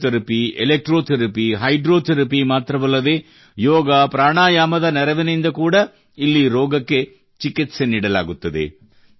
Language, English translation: Kannada, Along with Physiotherapy, Electrotherapy, and Hydrotherapy, diseases are also treated here with the help of YogaPranayama